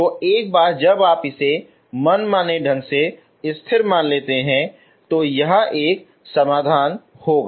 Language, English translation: Hindi, So once you take that as arbitrary constant one that will be a solution